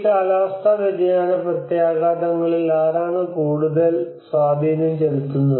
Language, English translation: Malayalam, And who have a bigger impact on these climate change impacts